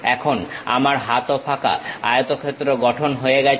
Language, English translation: Bengali, Now, my hands are also empty rectangle has been constructed